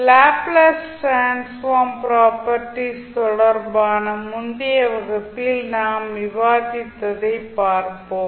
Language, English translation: Tamil, So let’s see what we discuss in the previous class related to properties of the Laplace transform